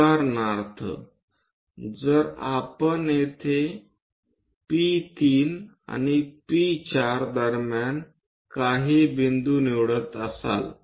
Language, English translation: Marathi, For example, if we are going to pick some point here in between P3 and P4